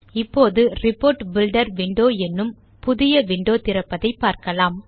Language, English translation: Tamil, We now see a new window which is called the Report Builder window